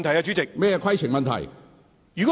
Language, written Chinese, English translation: Cantonese, 主席，規程問題。, President a point of order